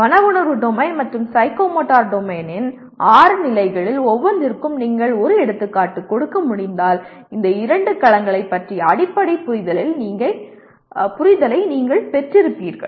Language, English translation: Tamil, If you are able to give one example for each one of the six levels of Affective Domain and Psychomotor Domain possibly you would have got a basic understanding of these two domains